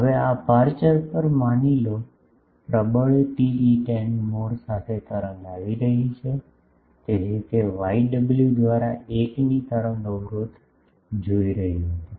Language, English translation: Gujarati, Now, at this aperture suppose, wave was coming with dominant TE 10 mode; so, it was seeing an wave impedance of 1 by y omega